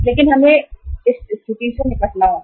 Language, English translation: Hindi, But we will have to deal with the situation